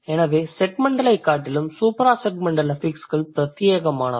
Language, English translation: Tamil, So, supra segmental affixes is more exclusive than the segmental ones